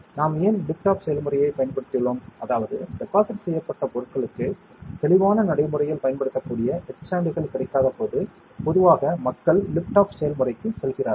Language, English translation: Tamil, Why we have used lift off process, so generally people go for lift off process when there are no clear very practically usable etchants available for the deposited material